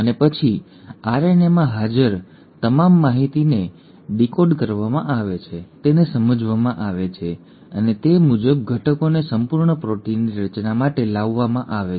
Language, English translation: Gujarati, And then, all the information which is present in the RNA is then decoded, is understood and accordingly the ingredients are brought in for the formation of a complete protein